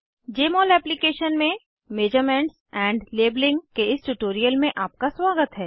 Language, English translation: Hindi, Welcome to this tutorial on Measurements and Labeling in Jmol Application